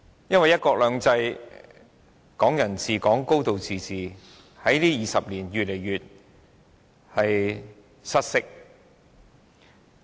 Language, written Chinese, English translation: Cantonese, 因為"一國兩制"、"港人治港"、"高度自治"在這20年間越來越失色。, It is because over the past 20 years the principles of one country two systems Hong Kong people ruling Hong Kong and a high degree of autonomy have been increasingly undermined